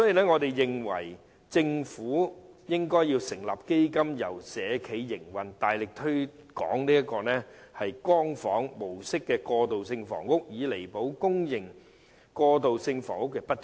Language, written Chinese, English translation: Cantonese, 我認為政府應該成立基金並由社企營運，大力推廣"光房"模式的過渡性房屋，以彌補公營過渡性房屋的不足。, In my view the Government should set up a fund to be run by social enterprises for vigorously promoting transitional housing of the Light Home model so as to make up the inadequacy of public transitional housing